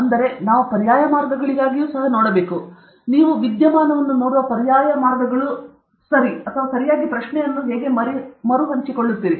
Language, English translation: Kannada, I mean, we should also look for alternate ways, alternate ways in which you view a phenomenon okay or how do you rephrase a question okay